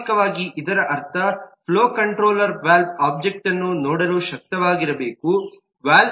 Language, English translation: Kannada, naturally, that means that the flow controller must be able to see the valve object